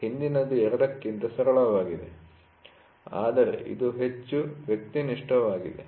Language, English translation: Kannada, The former is simpler of both, but it is more subjective